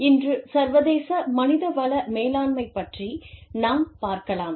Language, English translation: Tamil, Today, we will talk about, International Human Resource Management